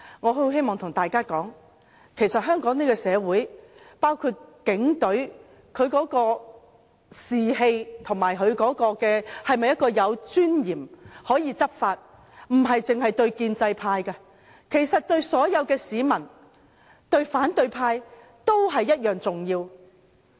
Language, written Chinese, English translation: Cantonese, 我很希望跟大家說，在香港這個社會，警隊的士氣或它是否有尊嚴地執法，不只對建制派，對所有市民、對反對派，也同樣重要。, I wish to tell everyone in Hong Kong the morale of the Police Force or whether it can enforce law with dignity is as important to all and to the opposition camp as to the pro - establishment camp